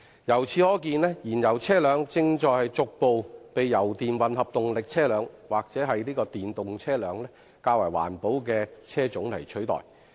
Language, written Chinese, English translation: Cantonese, 由此可見，燃油車輛正逐步被油電混合動力車輛及電動車輛等較環保的車輛取代。, It is thus evident that fuel - engined vehicles are being progressively replaced by more environment - friendly vehicles such as hybrid electric vehicles and electric vehicles